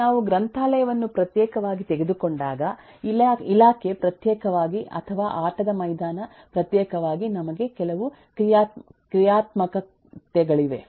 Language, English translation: Kannada, when we just take the library separately, the department separately or the play ground separately, we have certain functionalities